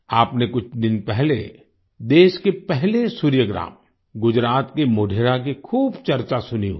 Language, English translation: Hindi, A few days ago, you must have heard a lot about the country's first Solar Village Modhera of Gujarat